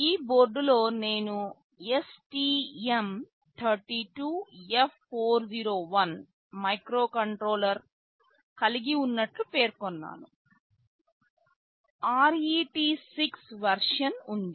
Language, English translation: Telugu, In this board as I mentioned we have STM32F401 microcontroller, there is a version RET6